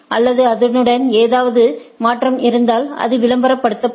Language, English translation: Tamil, And, along with that there can be thing that, if there is any change the it will be advertised